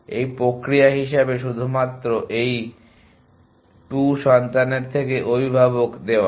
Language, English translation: Bengali, As this process as a given only these 2 children from this to parents